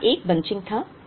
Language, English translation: Hindi, So, there was a bunching here